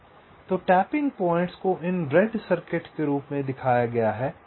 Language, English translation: Hindi, so the tapping points are shown as these red circuits